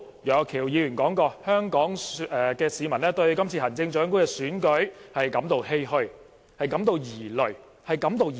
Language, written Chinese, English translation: Cantonese, 楊岳橋議員今天早上說香港市民對今次行政長官選舉感到欷歔、疑慮。, Mr Alvin YEUNG said this morning that Hong Kong people felt disheartened and worried about the Chief Executive Election this time